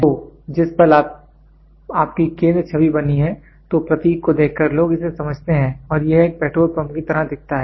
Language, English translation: Hindi, So, moment you have this centre image made then by looking at the symbol people understand, this looks like a petrol pump